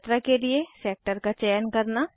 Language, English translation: Hindi, To select the sector to travel